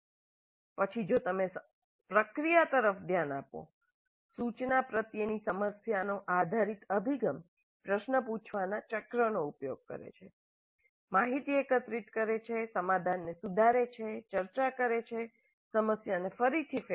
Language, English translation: Gujarati, Then if you look at the process the problem based approach to instruction uses cycle of asking questions, information gathering, refining the solution, discussion, revisiting the problem and so on